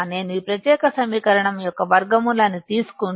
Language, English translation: Telugu, If I take square root of this particular equation